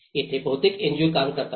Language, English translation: Marathi, This is where most of NGOs work